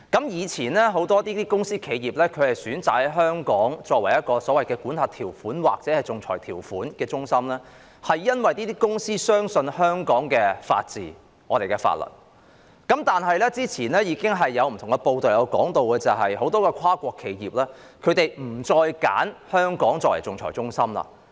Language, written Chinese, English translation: Cantonese, 以往很多公司或企業選擇香港為仲裁中心，因為他們相信香港的法治和法律，但早前有報道指出，很多跨國企業已不再選擇香港作為仲裁中心。, Many companies or enterprises chose Hong Kong as an arbitration centre because they had confidence in the laws and the rule of law in Hong Kong . However it was reported earlier that many international enterprises no longer chose Hong Kong as an arbitration centre